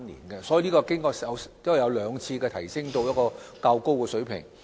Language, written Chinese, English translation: Cantonese, 經過兩次修訂，罰則已提升至較高水平。, After the two amendments the penalty had been increased to a relatively high level